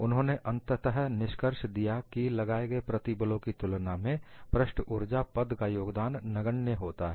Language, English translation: Hindi, He finally concluded that the contribution of the surface energy term is negligible in comparison to the applied stresses